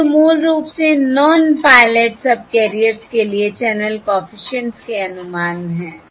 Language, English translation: Hindi, These are the estimates of the channel coefficients on the pilot subcarriers